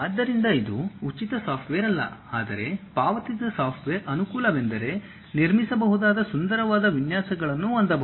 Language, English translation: Kannada, So, it is not a free software you have to pay but the advantage is you will have very beautiful designs one can construct it